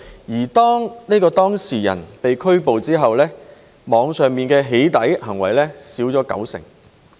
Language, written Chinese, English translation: Cantonese, 而當這名犯事人被拘捕後，網上的"起底"行為減少了九成。, After the arrest of this offender acts of Internet doxxing have dropped by 90 %